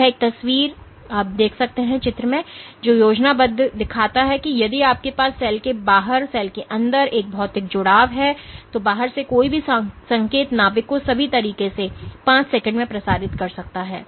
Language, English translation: Hindi, So, this is a picture shows schematic shows that if you had a physical linkage between the outside of the cell to the inside of the cell, then any signal from the outside can get propagated all the way to the nucleus in as little as 5 seconds 5 microseconds